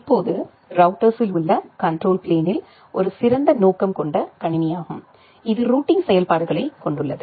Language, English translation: Tamil, Now, the control plane in a router it is a special purpose computer which has the routing functionalities